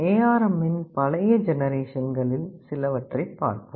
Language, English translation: Tamil, Let us look at some of the older generations of ARM